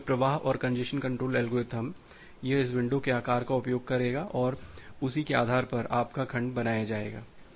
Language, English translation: Hindi, So, this flow and congestion control algorithm, it will use this window size and based on that, your segment will be created